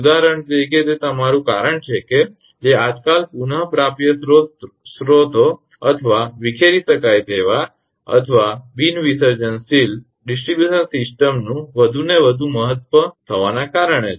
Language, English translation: Gujarati, For example, that your because nowadays which because of renewal sources or dispersible or non dispersible DGs the distribution system getting more and more important